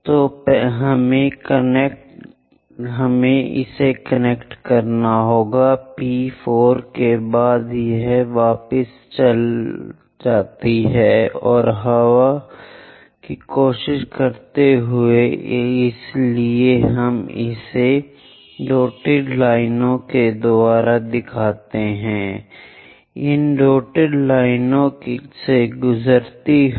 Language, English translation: Hindi, So, let us connect from P4 onwards it goes back and try to wind so we show it by dashed line, so a dashed line pass through that